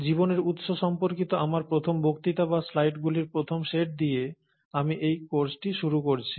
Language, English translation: Bengali, So let me start this course with my first lecture or rather first set of slides on origin of life